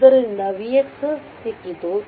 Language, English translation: Kannada, So, v x we have got